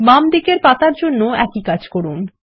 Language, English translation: Bengali, Let us do the same for the leaves on the left